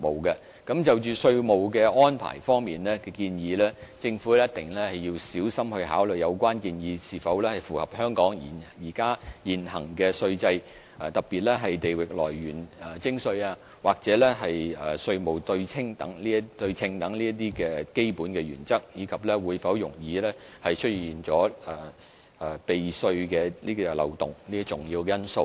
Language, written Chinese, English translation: Cantonese, 而就着稅務支援的建議，政府必須小心考慮有關建議是否符合香港現行稅制，特別是地域來源徵稅和稅務對稱等基本原則，以及會否容易出現避稅漏洞等重要因素。, And concerning the proposal of taxation support the Government must give careful consideration to important factors such as whether the proposal conforms to the existing tax regime in Hong Kong especially fundamental principles like territorial source and tax symmetry as well as whether tax avoidance loopholes will easily emerge